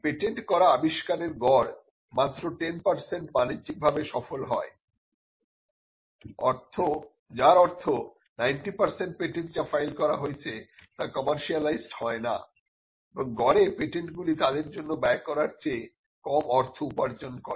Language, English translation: Bengali, On an average only 10 percent of the inventions that are patented become commercially successful, which means 90 percent of the patent that have been filed are not commercialized and average patent earns less money than it cost to get it